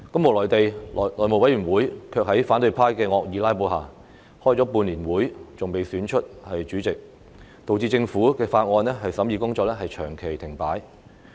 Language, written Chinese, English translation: Cantonese, 無奈地，內務委員會卻在反對派的惡意"拉布"下，歷時半年仍未能選出主席，導致政府法案的審議工作長期停擺。, Unfortunately as the House Committee had been unable to elect its chairman after half a year due to the malicious filibustering staged by the opposition camp scrutiny of Government Bills has come to a prolonged halt